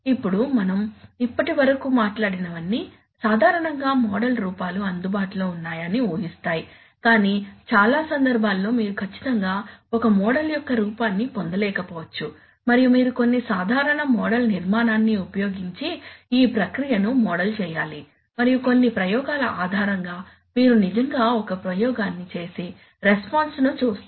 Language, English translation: Telugu, Now all these that we have so far talked about generally employs assumes that that model forms are available but in many cases you may not exactly be able to obtain a, the form of a model and then you must model the process using some simple model structure and based on some experiments, so you actually perform an experiment see the response, measure certain properties of that response and then design your controller based on that right